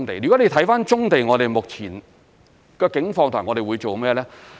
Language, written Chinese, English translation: Cantonese, 如果你看棕地，我們目前的境況和我們會做甚麼呢？, What is the current situation of brownfield sites and what are we going to do with them?